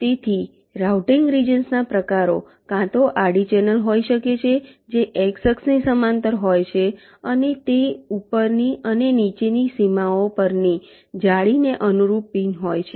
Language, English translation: Gujarati, ok, so the types of routing regions can be either ah, horizontal channel, which is parallel to the x axis with the pins corresponding to the nets at that top and bottom boundaries